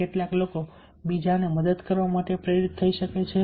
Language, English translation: Gujarati, some people might get motivated just to help others